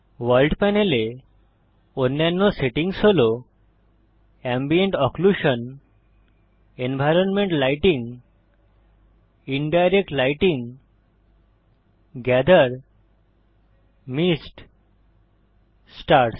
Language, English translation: Bengali, Other settings in the World panel are Ambient Occlusion, environment lighting, Indirect lighting, Gather, Mist, Stars